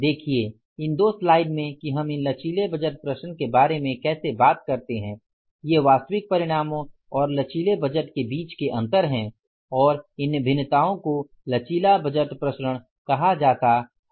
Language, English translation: Hindi, Say the how do we talk about these are the two slides, flexible budget variances, these are the variances between actual results and flexible budget and these variances are called as the flexible budget variances